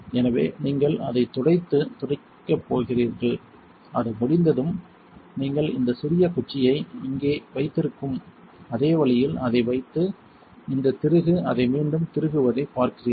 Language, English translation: Tamil, So, you are just going to wipe and wipe it, when it is done you put it on the same way you hold this little stick here and you see this screw just screw it back in